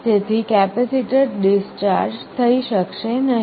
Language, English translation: Gujarati, So, the capacitor cannot discharge